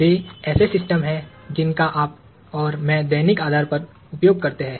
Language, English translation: Hindi, They are systems that you and I use on a daily basis